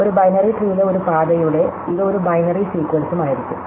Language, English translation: Malayalam, So, now, if I read of a path in a binary tree, it is also a binary sequence